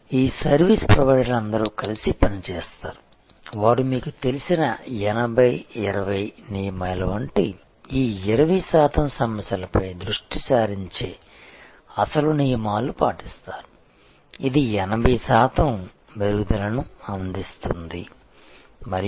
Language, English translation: Telugu, And all these service providers will be working together they will follow the original you know rules like 80, 20 rules focusing on those 20 percent problems, which will provide the 80 percent improvement